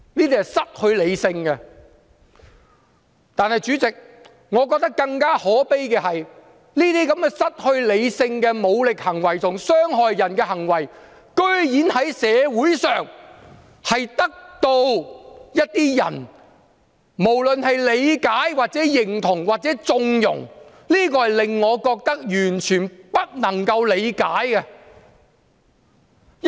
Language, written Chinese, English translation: Cantonese, 但是，主席，我認為更可悲的是，這些失去理性的武力行為和傷害人的行為，竟然在社會上得到一些人理解、認同或縱容，這都是我完全不能夠理解的。, However President what I find even more tragic is that these irrational acts of force and harms to others have been understood approved or condoned by some people in the society which I entirely cannot understand